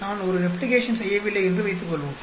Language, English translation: Tamil, Suppose, I did not do a replication